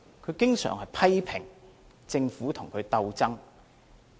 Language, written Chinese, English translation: Cantonese, 他經常批評政府與他鬥爭。, He often criticizes the Government for putting up struggles with him